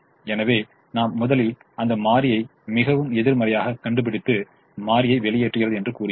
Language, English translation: Tamil, so we first find that variable which is most negative and say that variable goes out